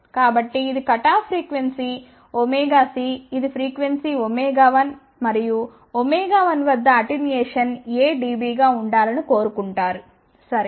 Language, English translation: Telugu, So, this is the cutoff frequency omega c this is the frequency omega one and at omega one it is desired that attenuation should be A dB, ok